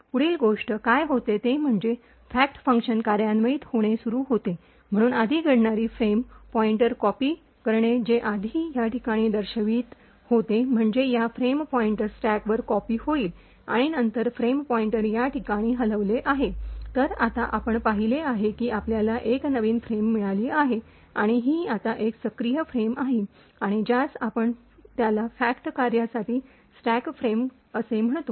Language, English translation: Marathi, The next thing, what happens is that the fact function starts to execute, so the first thing that the occurs is to copy the frame pointer which was previously pointing to this location, so this frame pointer gets copied onto the stack and then the frame pointer is moved to this location, so now what we have seen is that we have got a new frame and this is now the active frame and it is we call it as the stack frame for the fact function